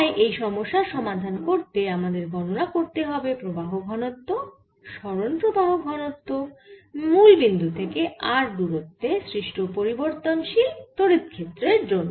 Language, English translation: Bengali, so to solve this problem you have to go through the procedure of calculating on current density, displacement current density because of this changed electric field at a distance r from the originals